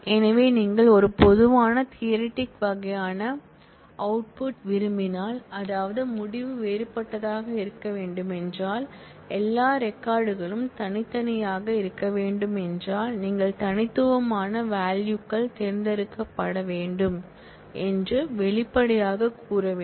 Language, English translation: Tamil, So, if you want a typical set theoretic kind of output, that is if you want the result to be distinct, all records to be distinct, then you have to explicitly say that you want distinct values to be selected